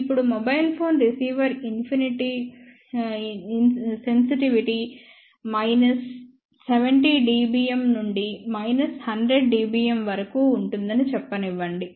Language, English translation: Telugu, Now, I want to mention here that the receiver sensitivity of let us say mobile phone can be from minus 70 dBm to minus 100 dBm